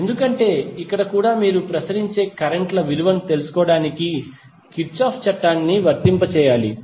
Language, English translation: Telugu, Because here also you have to apply the Kirchhoff's law to find out the value of circulating currents